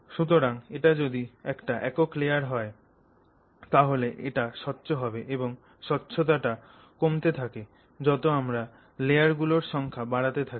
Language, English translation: Bengali, So as a single layer it is transparent and as I mentioned here the transparency reduces as the number of layers increase